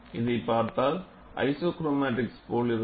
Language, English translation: Tamil, We look at this, something similar to your isochromatics